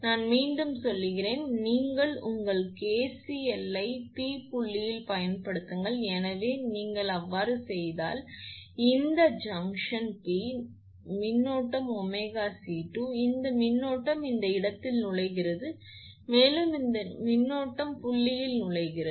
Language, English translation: Tamil, I repeat once again you apply your KCL at point P, so if you do, so at this junction P, if you do, so this current is omega C V 2 this current is entering at this point plus this current is also entering in the point